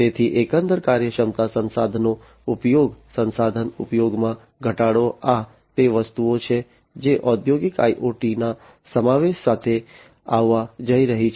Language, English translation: Gujarati, So, overall efficiency resource utilization reduction in resource utilization, these are the things that are going to come with the incorporation with the incorporation of industrial IoT